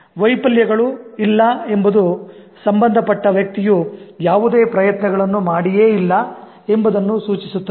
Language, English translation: Kannada, Not having failures would only indicate that the concerned person has not tried at all